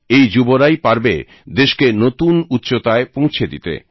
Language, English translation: Bengali, These are the very people who have to elevate the country to greater heights